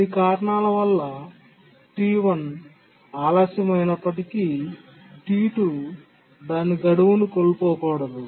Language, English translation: Telugu, So, we want that even if T1 gets delayed due to some reason, T2 should not miss its deadline